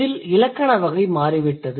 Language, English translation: Tamil, So, the grammatical category has changed